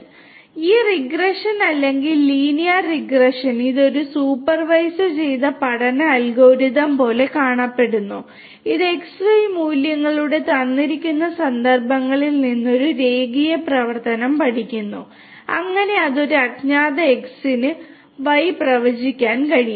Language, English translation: Malayalam, So, this is how this regression or linear regression looks like it is a supervised learning algorithm which learns a linear function from the given instances of the X and Y values, so that it can predict the Y for an unknown X